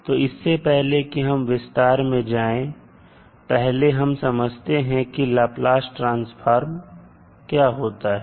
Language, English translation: Hindi, So before going into the details, let's first try to understand what is Laplace transform